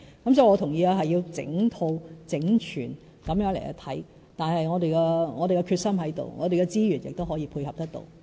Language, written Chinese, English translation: Cantonese, 因此，我同意需要整套、整全地檢視，我們有決心，我們的資源也可以配合得到。, Therefore I agree that we do need a comprehensive and integrated examination . We have the determination and we have the resources to support us as well